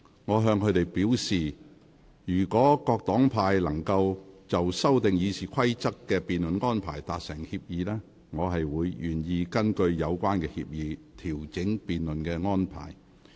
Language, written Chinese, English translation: Cantonese, 我向他們表示，若各黨派議員能就修訂《議事規則》的辯論安排達成協議，我願意根據有關協議，調整辯論安排。, I told them if they could agree on the arrangements for the debate on the motions to amend the Rules of Procedure RoP I would be happy to adjust the debate arrangements based on their agreement